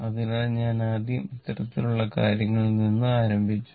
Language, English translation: Malayalam, So, I started with this kind of thing first, right